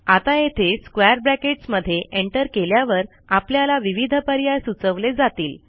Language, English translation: Marathi, Now right here between the square brackets, if you press Enter it tells you the different options